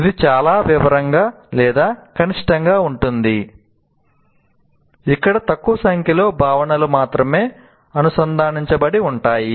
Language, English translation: Telugu, So it can be very detailed, very small, only small number of concepts are connected together for us to understand